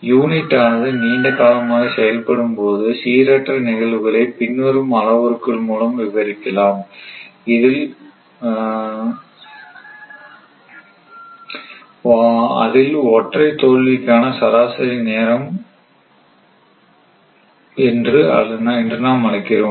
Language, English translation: Tamil, When unit has been operating for a long time, the random phenomena can be described by the following parameters say one thing is mean time to failure